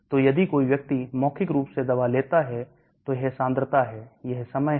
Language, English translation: Hindi, you so, if a person takes drug orally, this is the concentration, this is the time